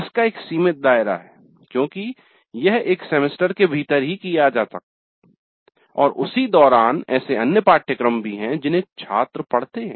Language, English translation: Hindi, It has a limited scope because it is done within a semester and also there are other courses through which the students go through